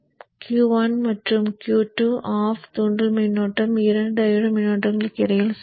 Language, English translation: Tamil, During the period when Q1 and Q2 are off, inductor current will equally divide between the two diode currents